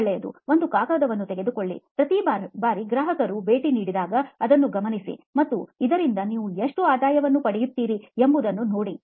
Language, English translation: Kannada, Well, take a piece of paper, every time a customer visits, note it down and see how much revenue you get out of this